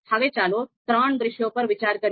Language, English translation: Gujarati, So now let us consider the three scenarios